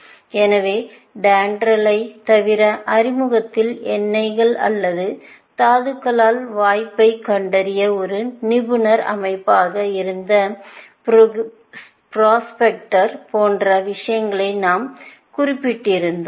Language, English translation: Tamil, So, apart from DENDRAL, in the introduction, we might have mentioned things like prospector, which was an expert system to find a prospect for oils or minerals, and so on